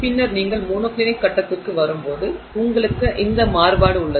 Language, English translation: Tamil, And then when you come to the monoclinic phase you have this variation